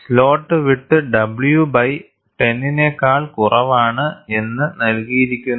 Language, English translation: Malayalam, The slot width is given as less than w by 10 and the standard says, need not be less than 1